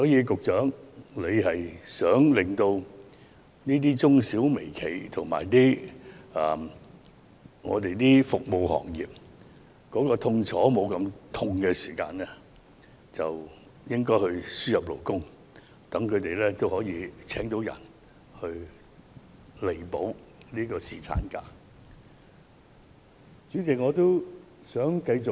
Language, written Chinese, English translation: Cantonese, 局長，如果你希望減輕中小企、微企和服務業的痛楚，便應該輸入勞工，讓僱主聘請人手替補放取侍產假的員工。, Secretary if you wish to alleviate the plight of SMEs micro enterprises and the catering industry you should import labour as a means of enabling employers to recruit workers as substitutes for employees on paternity leave